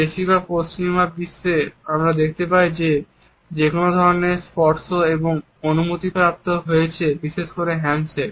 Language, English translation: Bengali, In most of the western world we find that some type of a touch has become permissible now particularly the handshake